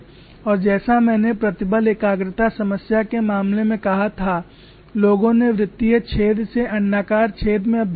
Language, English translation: Hindi, As I said earlier, in the case of stress concentration problem people graduated from circular hole to elliptical flaw